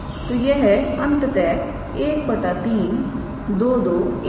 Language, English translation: Hindi, So, this is ultimately 1 by 3 2 2 1